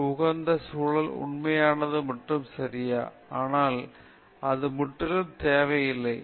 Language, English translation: Tamil, A conducive environment is a genuine plus okay, but it is not absolutely necessary